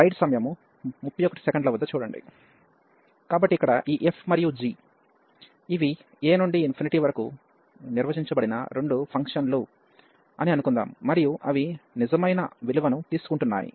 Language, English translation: Telugu, So, here we suppose that this f and g, these are the two functions defined from this a to infinity, and they are taking the real value